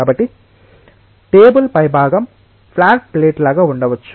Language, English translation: Telugu, So, the top of the table may be like a flat plate